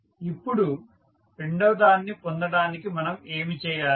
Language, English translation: Telugu, Now, to obtain the second one what we do